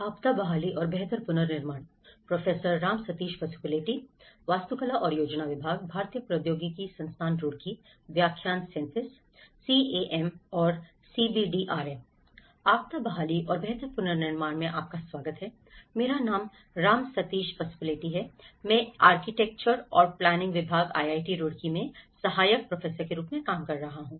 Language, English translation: Hindi, Welcome to the course disaster recovery and build back better, my name is Ram Sateesh Pasupuleti, I am working as Assistant Professor in Department of Architecture and Planning, IIT Roorkee